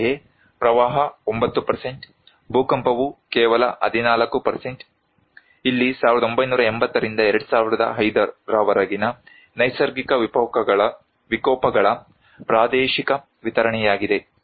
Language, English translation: Kannada, Similarly, flood 9%, earthquake is only 14%, here is the regional distribution of natural disasters from 1980 to 2005